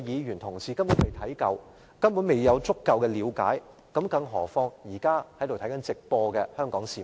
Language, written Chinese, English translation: Cantonese, 連他們也未能充分了解，更何況是正在收看直播的香港市民？, Even those Members have failed to get a full understanding let alone the Hong Kong people who are watching the live broadcast